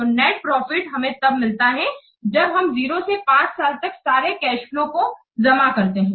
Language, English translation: Hindi, So, the net profit it has to be all these cash flows for 0 to 5 years they have to be added and we'll get it